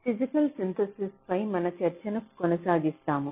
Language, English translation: Telugu, so we continue with our discussion on physical synthesis